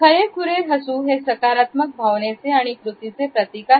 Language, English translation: Marathi, Genuine smiles are a reward for positive actions and feelings